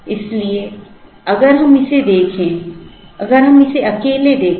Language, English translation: Hindi, So, if we look at this, if we look at this alone